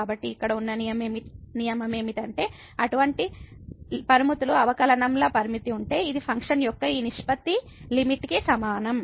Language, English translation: Telugu, So, this is the rule here that if such limits exists the limit of the derivatives, then we this will be equal to the limit of this ratio of the functions